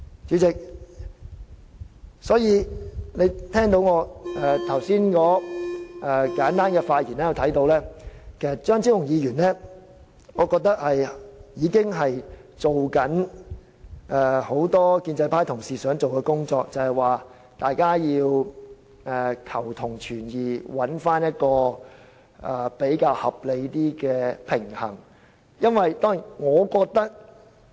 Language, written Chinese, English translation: Cantonese, 主席，從我剛才簡單的發言可見，張超雄議員其實是在做很多建制派同事想做的工作，即求同存異，尋找一個較合理的平衡點。, Chairman it can be seen from my brief speech that Dr Fernando CHEUNG is actually doing something that many pro - establishment Members would like to do ie . to strike a reasonable balance by seeking common ground while accommodating differences